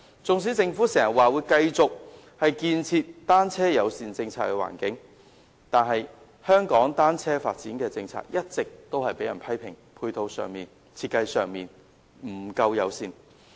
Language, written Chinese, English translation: Cantonese, 縱使政府時常說會繼續建設單車友善的環境，但香港單車發展的政策一直被人批評在配套及設計上均不夠友善。, Although the Government often vows to make ongoing efforts to develop a bicycle - friendly environment the policy on the development of cycling in Hong Kong has all along been criticized for being far from friendly in terms of the matching support and design